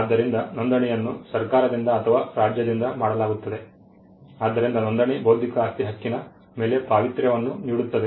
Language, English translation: Kannada, So, registration is done by the government by or by the state, so registration confers sanctity over the intellectual property right